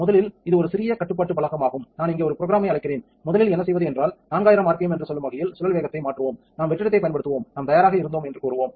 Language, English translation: Tamil, First this is the compact control panel completely self contained I am going to call up a program here program for and what will first do is we will change the spin speed to let us say 4000 rpm, there we go and then we will first we will apply vacuum, tells us that we were ready ok